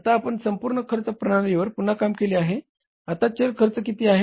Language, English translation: Marathi, If you work out the re work out the whole costing system, what is the variable cost now